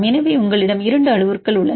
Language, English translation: Tamil, So, now we have the values